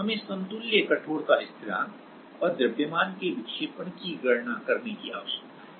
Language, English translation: Hindi, We need to calculate the equivalent stiffness constant and also the deflection of the mass